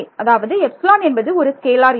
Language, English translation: Tamil, Some epsilon is scalar